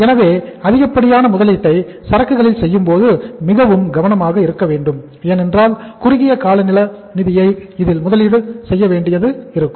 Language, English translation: Tamil, So we should be very careful that to avoid excessive investment in the inventory because we are going to invest the short term funds and sometime what happens